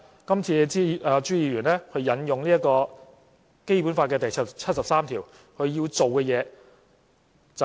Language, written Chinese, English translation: Cantonese, 今次朱議員引用《基本法》第七十三條，他要做的是甚麼？, What does Mr CHU want to do this time by invoking Article 73 of the Basic Law?